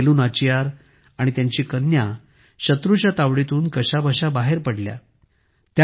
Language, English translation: Marathi, Queen Velu Nachiyar and her daughter somehow escaped from the enemies